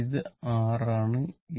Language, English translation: Malayalam, R is there